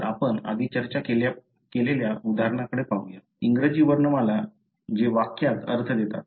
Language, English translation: Marathi, So, let us look into the example that we discussed before, the English alphabets which gives a meaning in a sentence